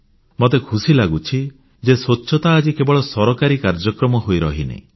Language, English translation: Odia, And I'm happy to see that cleanliness is no longer confined to being a government programme